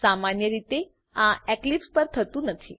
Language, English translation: Gujarati, It does not happens usually on Eclipse